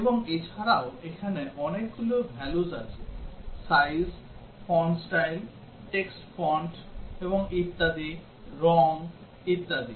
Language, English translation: Bengali, And also there are number of values here the size, the font style, the text font and so on, the colour etcetera